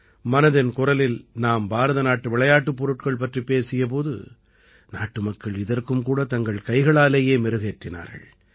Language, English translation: Tamil, In 'Mann Ki Baat', when we referred to Indian toys, the people of the country promoted this too, readily